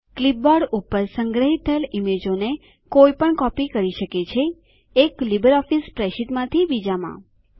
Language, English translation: Gujarati, One can copy images stored on the clipboard, from one LibreOffice spreadsheet to another